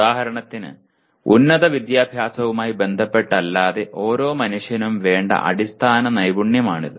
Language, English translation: Malayalam, For example this is one of the basic skill that every human being requires not necessarily with respect to higher education